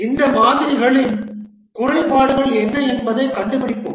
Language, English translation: Tamil, We will find out what are the shortcomings of these models